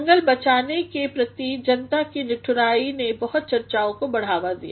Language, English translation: Hindi, People's indifference towards forest conservation has given rise to many discussions